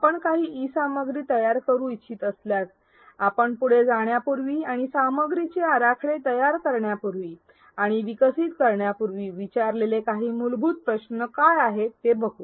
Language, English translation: Marathi, In case you want to create some e content, what are some of the fundamental questions that you would ask before you go ahead and go into designing and developing the content